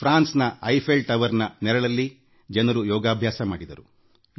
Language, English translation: Kannada, In France, yoga was performed in the vicinity of the Eiffel Tower